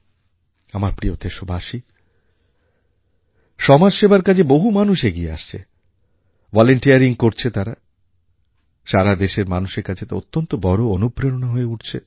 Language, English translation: Bengali, My dear countrymen, the way people are coming forward and volunteering for social works is really inspirational and encouraging for all our countrymen